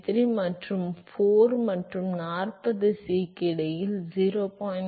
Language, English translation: Tamil, 33 and for between 4 and 40 C is 0